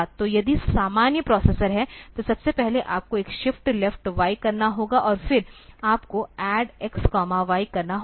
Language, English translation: Hindi, So, if normal processor, first of all you have to do a shift left y and then you have to say like add x comma y